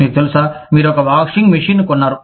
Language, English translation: Telugu, You know, you bought, one washing machine